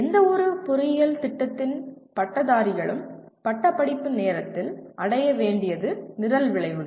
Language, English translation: Tamil, Program outcomes are what graduates of any engineering program should attain at the time of graduation